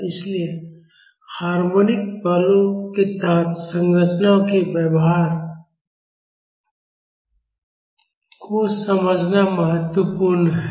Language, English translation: Hindi, So, it is important to understand the behavior of structures under harmonic forces